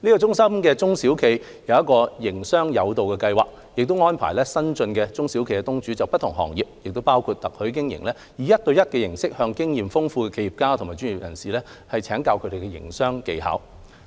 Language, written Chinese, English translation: Cantonese, 中心的中小企業"營商友導"計劃，則安排新進的中小企業東主就不同行業，包括特許經營，以一對一形式向經驗豐富的企業家及專業人士請教營商技巧。, The SME Mentorship Programme of SUCCESS enables SME entrepreneurs at the early stages of business development in various industries including franchising to learn business techniques from experienced entrepreneurs and professionals in a one - on - one setting